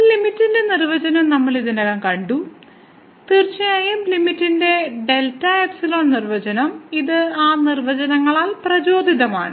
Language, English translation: Malayalam, So, we have already seen the definition of a limit indeed the limit delta epsilon definition of limit and this is motivated by that definitions